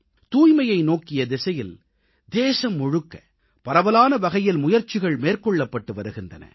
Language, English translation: Tamil, Efforts in the direction of cleanliness are being widely taken across the whole country